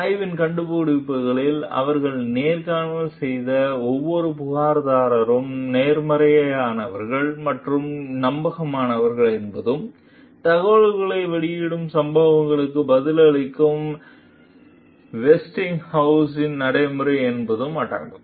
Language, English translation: Tamil, Among the study s findings were that every complainant they interviewed was sincere and credible, and that Westinghouse s practice of responding to whistle blowing incidents